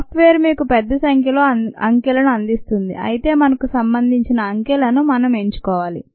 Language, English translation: Telugu, the ah software would give you a large number of digits, but we need to choose the digits that are of relevance to us